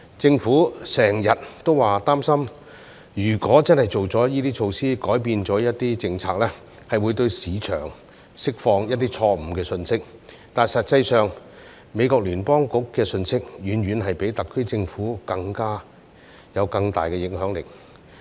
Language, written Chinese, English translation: Cantonese, 政府經常表示擔心，如果真的推出這些措施，改變了一些政策，會向市場釋放錯誤信息，但實際上，美國聯邦儲備局的信息遠遠比特區政府有更大影響力。, The Government often expresses concern that if these measures are really introduced and some policies are changed the wrong message will be sent to the market . But in effect messages from the United States Federal Reserve have far greater influence than those of the SAR Government . People have waited years after years and property prices have gone up 10 % after 10 %